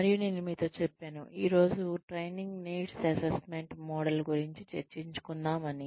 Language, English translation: Telugu, And, I told you that, we will discuss, the training needs assessment model, in greater detail, today